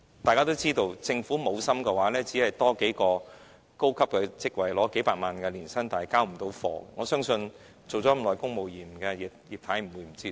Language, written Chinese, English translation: Cantonese, 大家應知道，如果政府無心，只是增加數個領取數百萬元年薪的高級職位，始終都無法交貨，我相信當了多年公務員的"葉太"不會不知這道理。, We must understand that if the Government does not have the heart to resolve the problem the mere creation of a few high - ranking posts offering an annual salary of a few million dollars will never work . I believe that Mrs IP who served as a civil servant for many years will not possibly be unaware of this fact